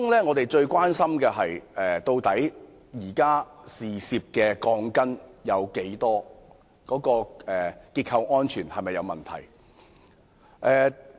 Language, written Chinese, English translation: Cantonese, 我們最關心的是有多少涉事的鋼筋，以及結構安全會否出現問題。, Our prime concerns are how many steel bars are involved and whether structural safety will be affected